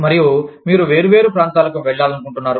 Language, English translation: Telugu, And, you want to move into different areas